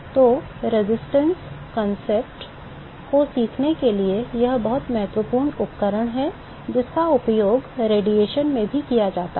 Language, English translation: Hindi, So, that is the very important tool to learn the resistance concept which was also used in radiation